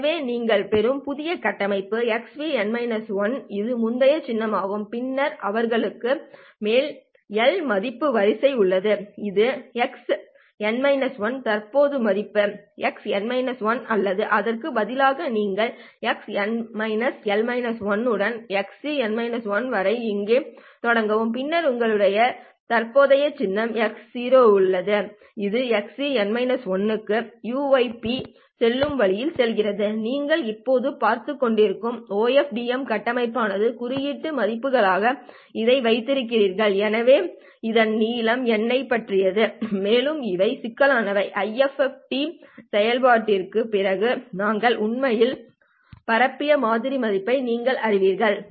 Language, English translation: Tamil, And then you have a sequence of l values over here which is x of n minus 1, the current values, x of n minus 1 or rather you start here with x of n minus l minus 1 all the way up to xe of n minus 1 and then you have the current symbol itself x c of 0 going all the way up to x c of n minus 1 so this is the o fdm structure that you are now looking at you have these as the symbol values right so the length of this one is about n and these are the complex, you know, the sample values that we had actually transmitted after the IFFTU operation